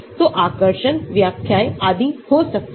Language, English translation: Hindi, So there could be attraction, interpretations and so on